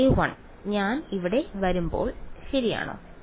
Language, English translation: Malayalam, a 1 right when I come here